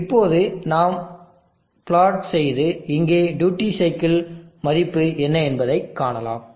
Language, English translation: Tamil, Now we can plot and see what is the duty cycle value here